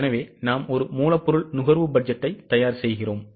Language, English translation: Tamil, Based on this we will have to prepare raw material purchase budget